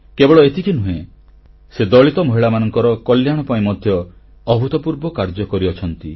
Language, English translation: Odia, Not only this, she has done unprecedented work for the welfare of Dalit women too